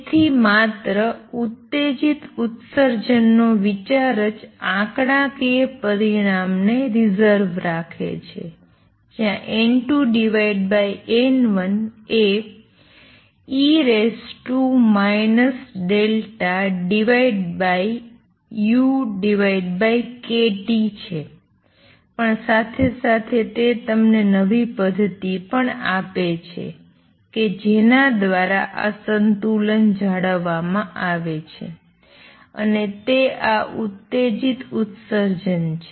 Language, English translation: Gujarati, So, not only the idea of a stimulated emission reserves the statistical result that N 2 over N 1 is E raise to minus delta over u over k T it also gives you a new mechanism through which this equilibrium is maintained and that is these stimulated emission